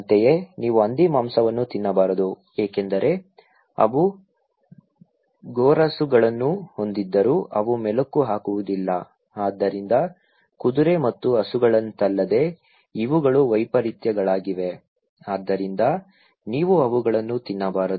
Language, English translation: Kannada, Similarly, you should not eat pork because they have cloven hooves but they don’t chew the cud, so unlike horse and cow so, these are clean who are anomalies, so you should not eat them